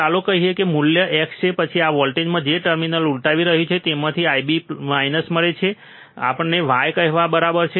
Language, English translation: Gujarati, Let us say the value is x, then from this voltage which is inverting terminal you get I B minus which is equals to let us say y